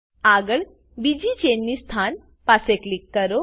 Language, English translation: Gujarati, Next, click near the second chain position